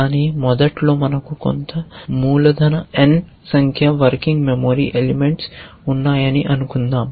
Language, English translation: Telugu, But initially let us assume that we have some capital N number of working memory elements